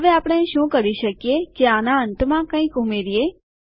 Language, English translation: Gujarati, Now, what we can do is we can add something on the end of this